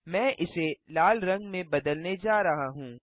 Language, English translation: Hindi, I am going to change it to red